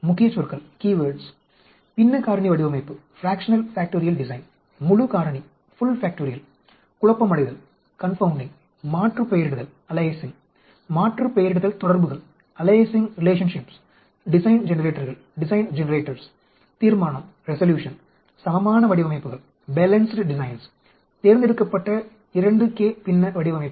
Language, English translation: Tamil, Key words Fractional Factorial design, Full factoraial, Confounding, Aliasing, Aliasing Relationships, Design Generators, Resolution, Balanced designs, Selected 2k Fractional Designs